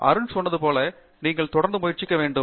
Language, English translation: Tamil, You have to persist as Arun said earlier